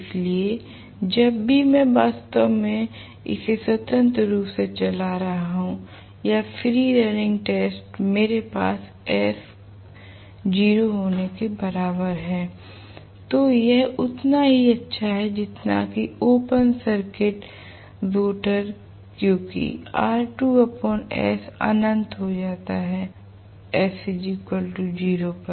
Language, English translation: Hindi, So, whenever, I am actually running it freely or free running test I am going to have s equal to 0 because of which it is as good as rotor is open circuited because r2 by s becomes infinity, right at s equal to 0